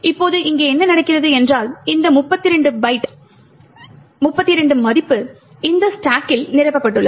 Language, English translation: Tamil, Now what happens here is that this value of 32 that’s filled in the stack